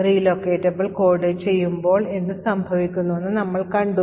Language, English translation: Malayalam, So, we have seen what happens when the load time relocatable code